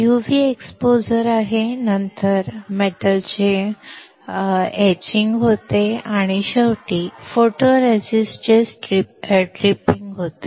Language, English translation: Marathi, There is UV exposure, then there was etching of metal and finally, tripping of photoresist